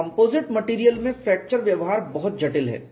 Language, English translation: Hindi, So, fracture behavior in composite material is very, very complex